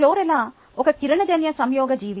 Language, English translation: Telugu, chlorella is a photosynthetic organism